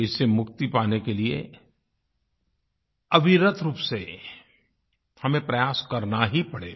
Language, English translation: Hindi, To free ourselves of these habits we will have to constantly strive and persevere